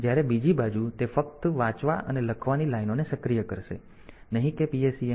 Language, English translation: Gujarati, So, it will be activating only the read and write lines not the PSEN line